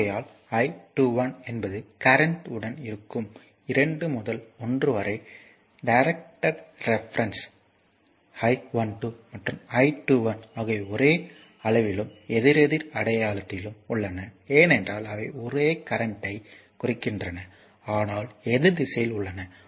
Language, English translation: Tamil, Therefore, your I 21 is the current to the with it is reference directed from 2 to 1 of course, I 12 and I 21 are the same in magnitude and opposite in sign so, because they denote the same current, but with opposite direction